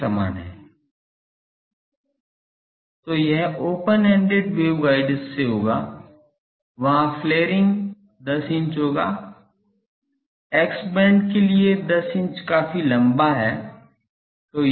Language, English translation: Hindi, So, that will be a from the open ended waveguide mound there will be flaring of 10 inch, 10 inch is quite long for an x band ok